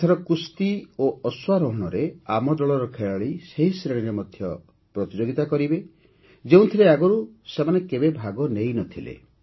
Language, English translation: Odia, This time, members of our team will compete in wrestling and horse riding in those categories as well, in which they had never participated before